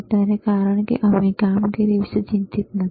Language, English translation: Gujarati, Right now, because we are not worried about the performance,